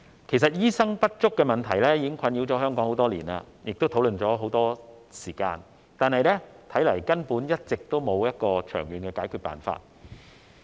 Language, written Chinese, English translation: Cantonese, 醫生人手不足的問題已經困擾香港多年，亦已討論多時，但一直沒有長遠的解決辦法。, The shortage of doctors has been plaguing Hong Kong for years . The issue has been under discussion for a long time without any long - term solution